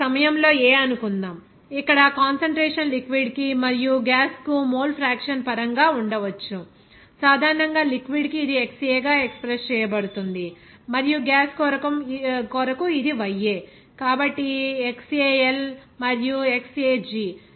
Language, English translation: Telugu, Now at a point suppose A where the concentration maybe mole in terms of mole fraction for the liquid as well as gas, generally for liquid it is expressed as XA and for gas it is YA, so XAL and XAG